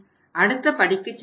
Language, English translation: Tamil, Then we move to the next step